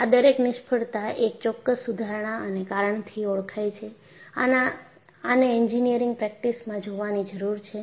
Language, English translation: Gujarati, Each one of these failure was selected to identify a particular improvement or cause that needs to be looked at in engineering practice